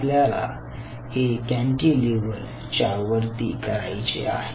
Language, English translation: Marathi, we wanted to do this on top of a cantilever